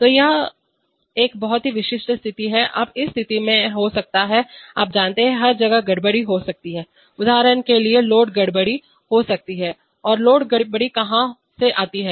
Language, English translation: Hindi, So this is a very typical situation now in this situation, there can be, you know, there can be disturbances everywhere, for example there can be load disturbances so and where does the load disturbance come